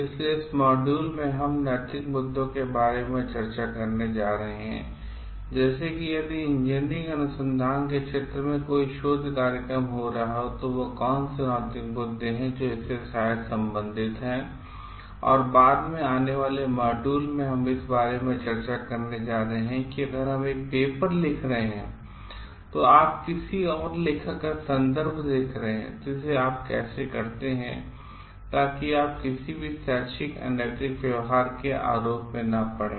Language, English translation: Hindi, So, in this module we are going to discuss about the ethical issues related to like if any research collaboration is happening in the field of engineering research, then what are the ethical issues that maybe related to it and like in the subsequent module, we are going to discuss about like if we where authoring a paper, your sighting in somebody's references, then how do you do it, so that you do not fall into like any trap of any unethical practices